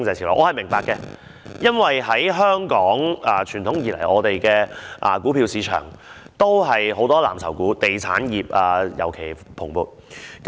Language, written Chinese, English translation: Cantonese, 這點我是明白的，因為傳統以來，香港的股票市場都是以藍籌股為主，當中以地產業尤其蓬勃。, I understand that because traditionally Hong Kongs stock market has been mainly relying on blue chips in which the property sector has been doing well in particular